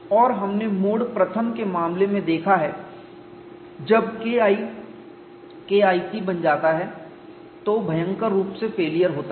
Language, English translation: Hindi, And we have seen in the case of mode one when K 1 becomes K1c catastrophic failure would occur